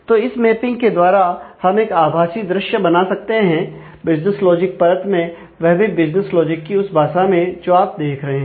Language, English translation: Hindi, So, so this mapping itself we could create a virtual view in the business logic layer, in the business logic language that you are looking at